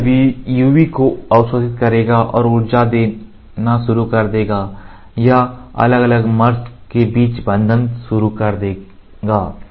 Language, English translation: Hindi, So, this fellow will absorb the UV and start giving energy or start initiating the bond between the different mers